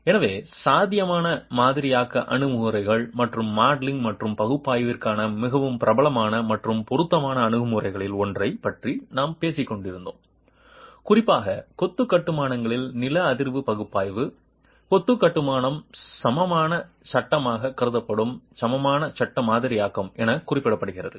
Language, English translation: Tamil, So, we were talking about possible modeling approaches and one of the more popular and appropriate approaches for modeling and analysis, particularly seismic analysis of masonry constructions is what is referred to as equivalent frame modeling where the masonry construction is considered as an equivalent frame